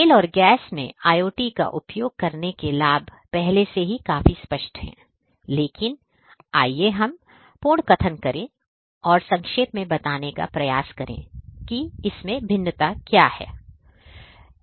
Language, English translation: Hindi, So, the benefits of using IoT in oil and gas industries is already quite apparent, but essentially let us recap and try to summarize what are the different benefits